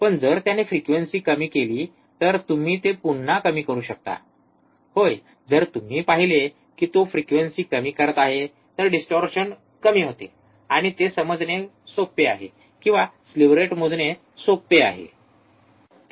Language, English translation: Marathi, But if he goes on decreasing the frequency can you decrease it again, yeah, if you see that he is decreasing the frequency, the distortion becomes less, and it is easy to understand or easy to measure the slew rate